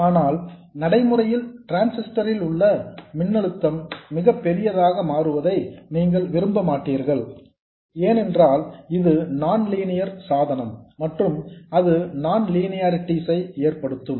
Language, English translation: Tamil, But in practice, you also don't want the voltage across the transistor to become very large because it's after all a nonlinear device and that will cause non linearities